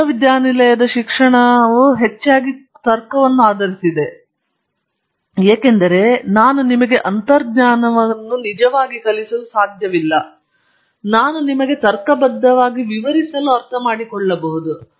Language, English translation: Kannada, All of university education is mostly based on logic, because I cannot really teach you intuition, I can only tell you what I understand logically I can explain to you